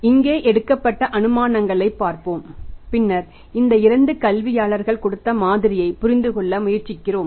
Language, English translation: Tamil, So let's see the assumptions taken here and then we try to understand the model given by these two academicians